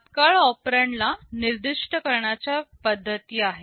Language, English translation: Marathi, There are ways of specifying immediate operands